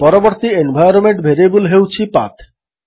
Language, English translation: Odia, The next environment variable is PATH